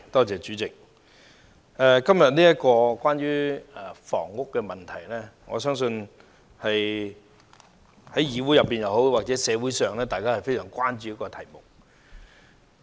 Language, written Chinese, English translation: Cantonese, 主席，今天討論的房屋問題，我相信是議會或社會非常關注的題目。, President I believe the housing problem under discussion today is a matter of great concern to this Council and society